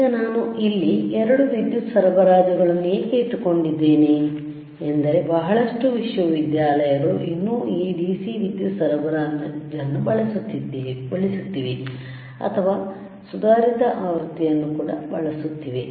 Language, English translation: Kannada, So now, why I have kept both the power supplies here is that lot of universities may still use this DC power supply or may use advanced version